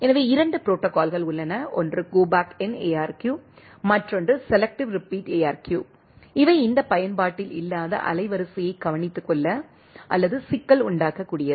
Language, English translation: Tamil, So, there are 2 protocol is one is Go Back N, another is Selective Repeat ARQ, Go Back N ARQ and Selective Repeat ARQ, which are which are used to take care of these underutilised bandwidth or that the problem